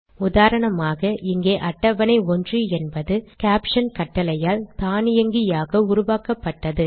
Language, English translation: Tamil, For example, here table 1 has been created automatically by this caption command